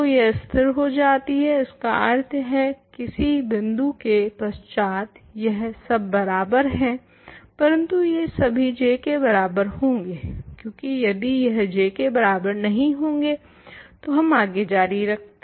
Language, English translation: Hindi, So, it stabilizes; that means, it is equal beyond some point they are all equal, but they must all equal J because if it is not equal to J we would have continued ok